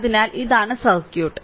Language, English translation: Malayalam, So, this is the circuit, this is your circuit